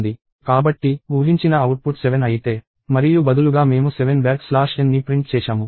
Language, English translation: Telugu, So, if the expected output is 7; and instead we have printed 7 back slash n